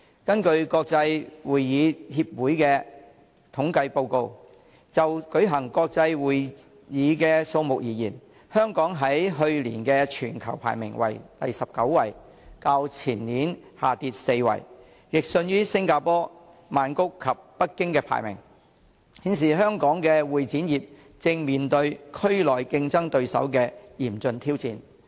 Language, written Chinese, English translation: Cantonese, 根據國際會議協會的統計報告，就舉行國際會議的數目而言，香港在去年的全球排名為第19位，較前年下跌4位，亦遜於新加坡、曼谷及北京的排名，顯示香港會展業正面對區內競爭對手的嚴峻挑戰。, According to a statistical report of the International Congress and Convention Association Hong Kong was ranked the 19 worldwide last year in terms of the number of international meetings hosted which was a drop of four places from that of the previous year and fared worse than the rankings of Singapore Bangkok and Beijing indicating that the CE industry in Hong Kong is facing severe challenges from competitors in the region